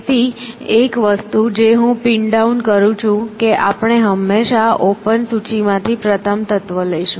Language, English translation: Gujarati, So, one thing I have pin down is, that we will always take the first element from the open list